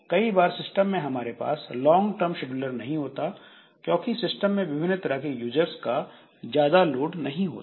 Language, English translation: Hindi, So, many times, many systems we do not have the long term scheduler also because we don't have that much of load in the system